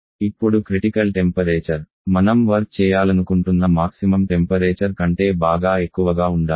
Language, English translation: Telugu, Now the critical temperature of course should be well above the maximum temperature at which you would like to work